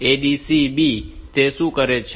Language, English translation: Gujarati, So, ADC B, what it will do